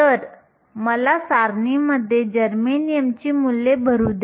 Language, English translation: Marathi, So, let me go to the table and fill in the values for germanium